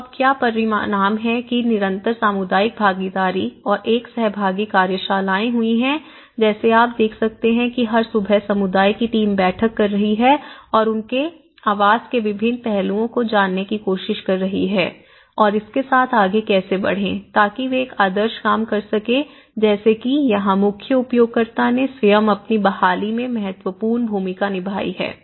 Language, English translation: Hindi, So, what are the results now there has been a constant community involvement and a participatory workshops have been like you can see that every morning the community is, team is meeting and learning different aspects of their housing project and how to go ahead with it so that is what they worked on a motto learn as you work and the main here, the one thing is main users themselves have played an important role in their own recovery